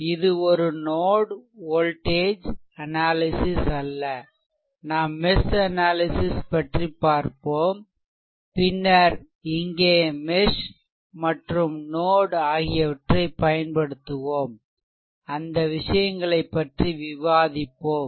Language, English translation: Tamil, This is not a node voltage analysis we will see mesh analysis also and then the then here we will apply mesh and we will apply node we will discuss those things right